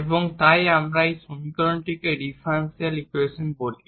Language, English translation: Bengali, So, what is the differential equations